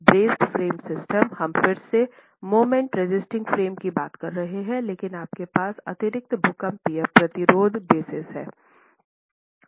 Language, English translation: Hindi, We are again talking of moment resisting frames, but you have additional seismic resisting braces in them